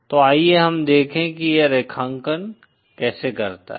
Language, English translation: Hindi, So let us see how it translates graphically